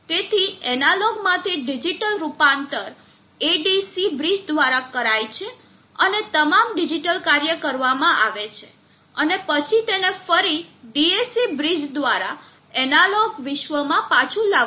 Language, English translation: Gujarati, So analog to digital conversion is by the ADC bridge and all the digital work is done and then it is brought back into the analog world by the dam bridge